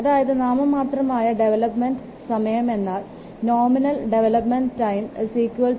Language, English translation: Malayalam, The nominal development time can be expressed as 2